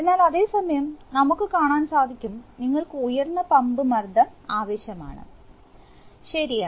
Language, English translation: Malayalam, But at the same time, we will see that, we will require higher pump pressure right